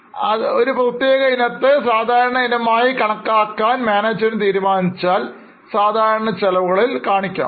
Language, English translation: Malayalam, If they would have treated as a normal item, it would have come in the normal expenses